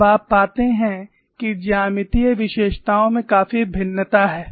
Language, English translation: Hindi, Now, you find there is quite a variation in the geometric features